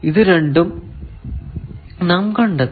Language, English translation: Malayalam, So, these 2 we have found